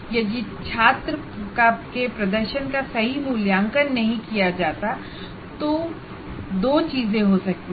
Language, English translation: Hindi, And the other one is, if the student performance is not evaluated properly, two things can happen